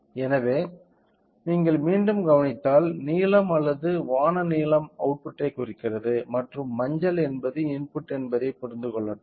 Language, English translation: Tamil, So, in order to understand that let me if you observe again the blue represents or sky blue represents the output and yellow represents are input